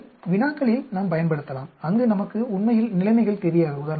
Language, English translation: Tamil, So, we can use in problems, where we actually do not know the situations, unlike we do not